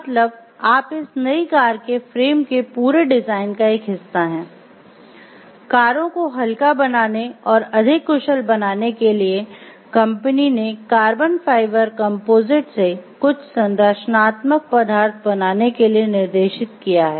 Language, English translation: Hindi, So, you are a part of the whole design of the frame of the new car; a part of the company’s drive to make cars lighter and more efficient your team is directed to make some of the structural members out of carbon fiber composite